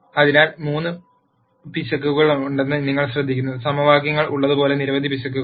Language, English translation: Malayalam, So, you notice that there are three errors as many errors as there are equations